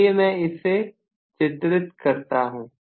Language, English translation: Hindi, Let me draw that as well